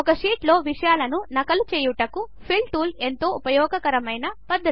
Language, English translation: Telugu, The Fill tool is a useful method for duplicating the contents in the sheet